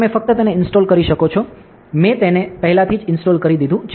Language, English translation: Gujarati, So, we you can just install it, I have already installed it